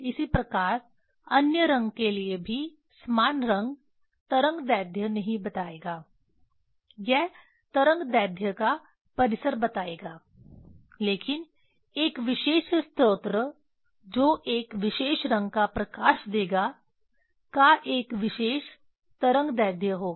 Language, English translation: Hindi, Similarly for other color also same color will not tell the wavelength, it will tell the range of the wavelength but for a particular source that color light of a particular color will have a particular wavelength